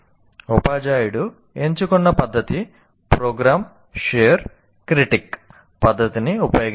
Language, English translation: Telugu, And the method that we have chosen, or the teacher has chosen, is use the program share critic method